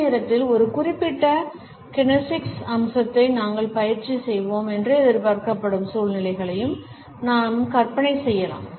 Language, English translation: Tamil, At the same time we can also imagine situations in which we may be expected to practice a particular kinesics aspect